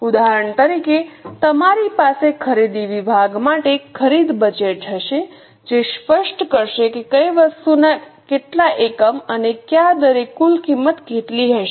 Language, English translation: Gujarati, For example, you will have a purchase budget for purchase department that will specify how many units of which item and at what rate, what will be the total cost